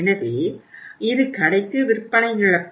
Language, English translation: Tamil, So it is a loss of sale to the store